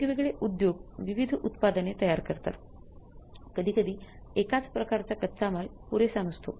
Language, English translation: Marathi, In a different industries or for manufacturing different products, sometimes one type of the raw material is not sufficient